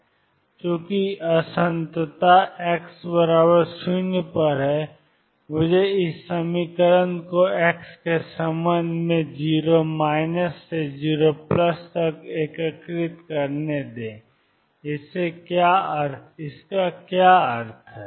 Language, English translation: Hindi, Since the discontinuity is at x equals 0, let me integrate this equation with respect to x from 0 minus to 0 plus what does that mean